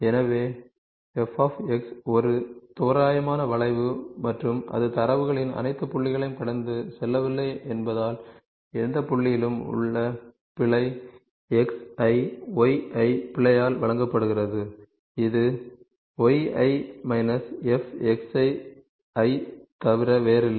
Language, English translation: Tamil, So, since f is a is an approximate curve and it is not passing through all the points of data, the error at each at any given point xi, yi is given by error is nothing but yi minus a function of xi